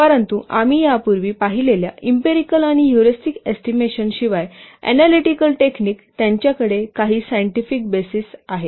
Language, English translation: Marathi, But unlike the empirical and heuristics techniques that we have already seen the analytical techniques, they have certain scientific basis